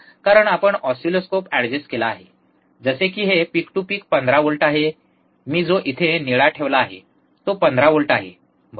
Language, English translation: Marathi, Because we have adjusted the oscilloscope, such that even the this peak to peak is 15 that is the blue one is 15 if I if I put it here, right